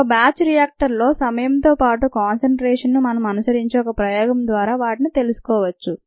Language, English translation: Telugu, they can be determined by doing an experiment, ah, where we follow the substrate concentration with respect to time in a batch reactor